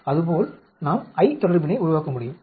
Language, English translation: Tamil, Like that we can build up the I relationship